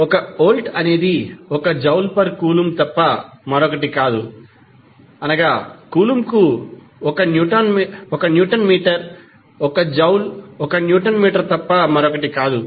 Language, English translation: Telugu, 1 volt is nothing but 1 joule per coulomb that is nothing but 1 newton metre per coulomb because 1 joule is nothing but 1 newton metre